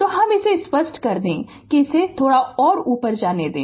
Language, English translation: Hindi, So, let me clear it let it move little bit up